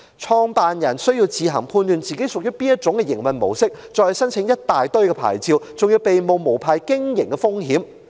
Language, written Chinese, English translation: Cantonese, 創辦人需要自行判斷其場所屬於哪種營運模式，從而申請一大堆牌照，還要冒着被控無牌經營的風險。, In that case what is the practical purpose of providing government guidelines? . The operator needs to first determine on his own the mode of operation of his premise and then apply for different licences but he may still run the risk of unauthorized operation